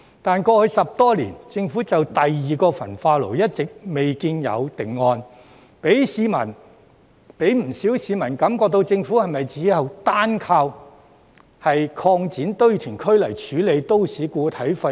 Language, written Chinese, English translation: Cantonese, 但是，過去10多年，政府就第二個焚化爐一直未見有定案，讓不少市民感覺到政府是否單靠擴展堆填區來處理都市固體廢物。, However over the past decade or so the Government has yet to make a final decision on the second incinerator leaving many people wondering whether the Government is relying solely on landfill expansion to deal with MSW